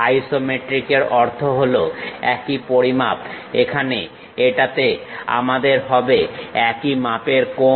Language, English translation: Bengali, Isometric means equal measure; here equal measure angles we will have it